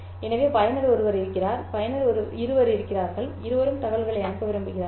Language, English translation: Tamil, So there is user 1 and there is user 2 and both want to transmit information